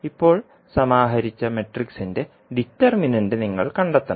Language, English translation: Malayalam, You have to just find out the determinant of the matrix which we have just compiled